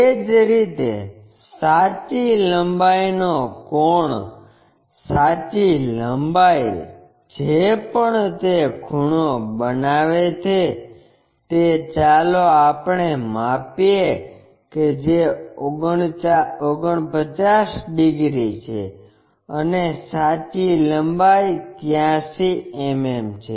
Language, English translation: Gujarati, Similarly, the true length angle, true length whatever it is inclination making let us measure that is 49 degrees and the true length is 83 mm